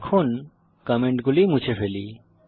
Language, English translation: Bengali, Now, let me remove the comments